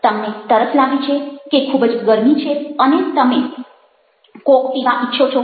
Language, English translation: Gujarati, context: you are feeling thirsty or it's hot, you want coke